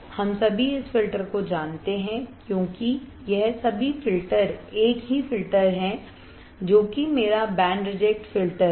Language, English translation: Hindi, We all know this filter because all this filter is same filter, which is my band reject filter